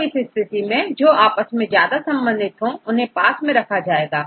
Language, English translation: Hindi, So, in this case the ones which are closely related they put nearby each other